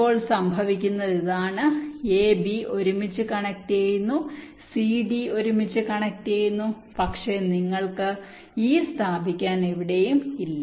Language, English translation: Malayalam, now what happens is that this a, b gets connected together, c, d gets connected together, but you do not have any where to place e